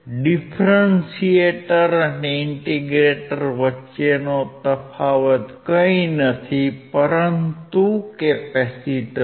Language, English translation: Gujarati, The difference between the differentiator and integrator is nothing, but the capacitor